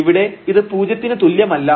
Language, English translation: Malayalam, So, this is here 0 and this is also 0